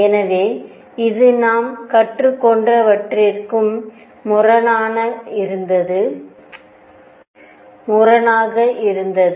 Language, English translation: Tamil, So, this was also at odds with whatever we had learnt